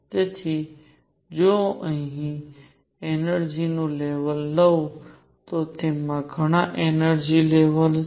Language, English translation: Gujarati, So, if I take an energy level here, it has in it many many energy levels